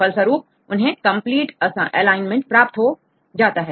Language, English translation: Hindi, Finally, they make the complete the alignment right